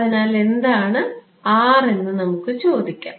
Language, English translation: Malayalam, So, let us ask what is R right